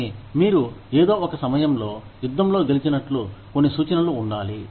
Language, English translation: Telugu, But, there should be some indication of, you winning the battle, at some point